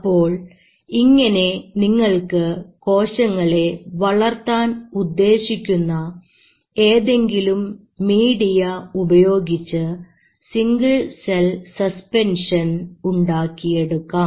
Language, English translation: Malayalam, Then what you get is a single cell suspension, in some form of media where you want you to grow them